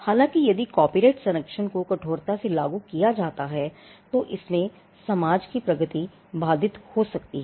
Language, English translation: Hindi, However, if copyright protection is applied rigidly it could hamper progress of the society